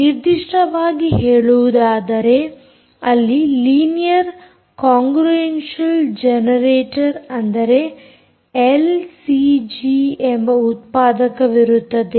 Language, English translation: Kannada, particularly, there is a generator called linear congruential generator, l c g